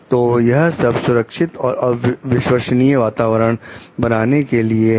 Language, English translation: Hindi, So, it is all about being in a safe and trustworthy environment